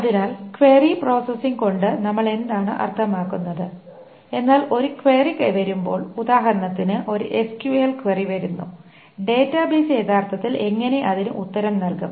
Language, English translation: Malayalam, So, what do we mean by a query processing is that when a query comes, for example, an SQL query comes, how does the database actually answer it